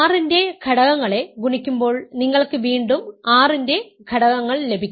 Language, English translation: Malayalam, Remember, because R is a ring when you multiply elements of R you again get elements of R